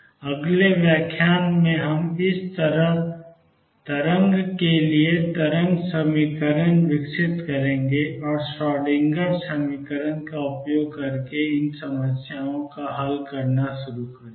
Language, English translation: Hindi, In the next lecture we will develop the wave equation for this wave, and start solving problems using the Schrodinger equation